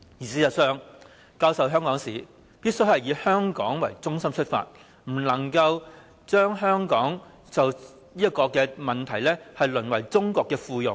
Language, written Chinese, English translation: Cantonese, 事實上，教授香港史必須以香港為中心，不可以在這問題上讓香港淪為中國的附庸。, In fact the teaching of Hong Kong history must be conducted with Hong Kong being the focus instead of being reduced to becoming a vassal city of China